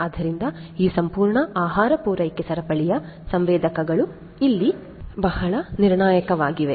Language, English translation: Kannada, So, sensors are very crucial over here in this entire food supply chain